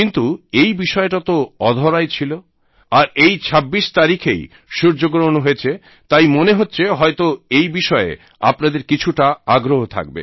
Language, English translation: Bengali, But this topic has never been broached, and since the solar eclipse occurred on the 26th of this month, possibly you might also be interested in this topic